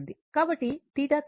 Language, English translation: Telugu, So, theta is rotating